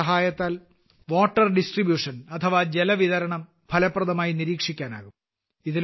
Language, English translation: Malayalam, With its help, effective monitoring of water distribution can be done